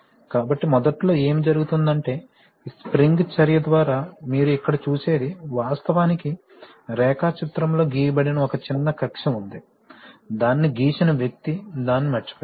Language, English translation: Telugu, So initially what happens is that, by this spring action you see here there is actually a small orifice which is not drawn in the diagram, the person who drew it missed it